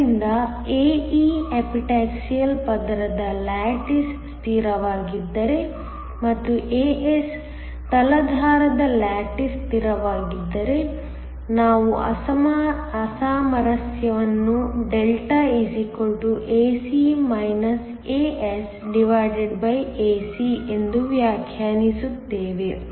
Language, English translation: Kannada, So, if ae is the lattice constant of the Epitaxial layer and as is the lattice constant of the substrate, then we define mismatch Δ = ae asae